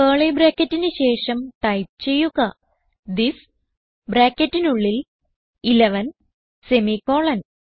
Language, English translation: Malayalam, After curly brackets type this within brackets 11 and semicolon